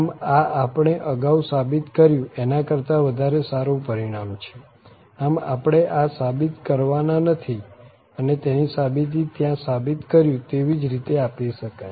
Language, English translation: Gujarati, So, this is a more general result than the earlier one which we have proved, so this we are not proving but exactly the proof follows the similar argument what we have just done there